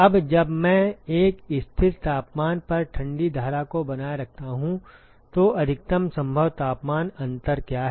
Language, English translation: Hindi, Now, what is the maximum possible temperature difference when I maintain the cold stream at a constant temperature